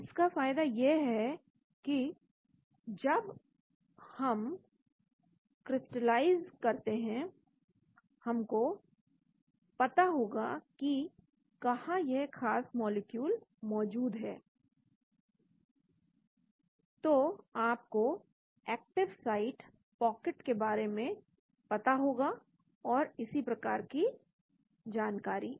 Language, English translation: Hindi, So the advantage is when we crystalize we will know where this particular molecule is present, so you will know the active site pocket and so on